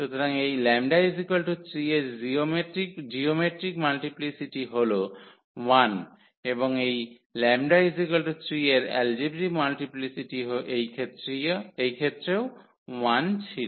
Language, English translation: Bengali, So, the geometric multiplicity of this lambda is equal to 3 is 1 and the algebraic multiplicity of this lambda is equal to 3 was also 1 in this case